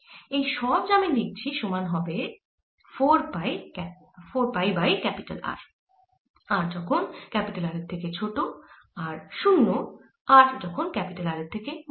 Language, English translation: Bengali, all that that i have written is going to be four pi over r for r less than r and zero for r greater than r, and that's the answer